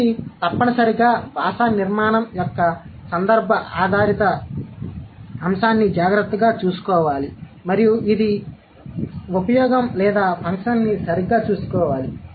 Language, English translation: Telugu, It must take care of the context of the context dependent aspect of language structure and it should also take care of the usage or the function